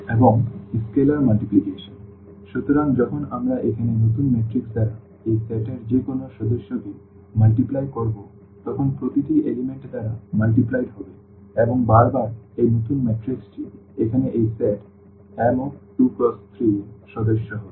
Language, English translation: Bengali, And, also the scalar multiplication; so, when we multiply any member of this set here by lambda the new matrix will be just multiplied by lambda each component will be multiplied by lambda and again, this new matrix will be also a member of this set here M 2 3